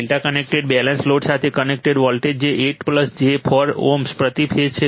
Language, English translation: Gujarati, Voltage connected to a delta connected balanced load that is 8 plus j 4 ohm right per phase